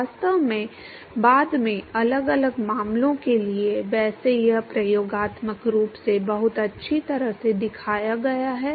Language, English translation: Hindi, In fact, for different cases later, by the way this has been experimentally shown very well